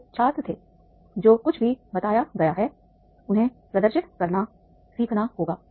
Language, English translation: Hindi, They were students, they were to demonstrate whatever has been told, they have to learn